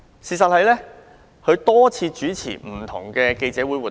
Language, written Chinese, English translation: Cantonese, 事實上，他曾多次主持不同類型的記者會活動。, In fact he had hosted different types of press events before